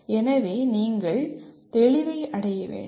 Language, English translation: Tamil, So the you have to achieve clarity